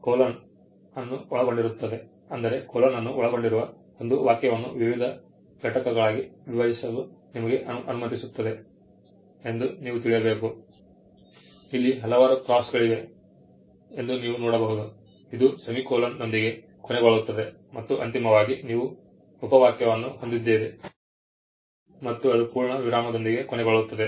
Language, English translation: Kannada, Now, comprising colon (:) if you can see that now comprising colon allows you to split a sentence into various components, you can see that there are various crosses here ha ending with semicolon (;) and finally, you have and you have the clause ending with a full stop